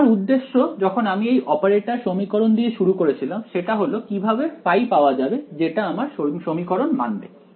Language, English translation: Bengali, My objective when I started with this operator equation was to find out the phi that satisfies this equation